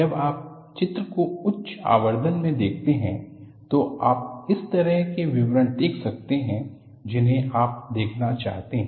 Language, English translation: Hindi, When you see the picture in high magnification, you see the kind of detail that you look at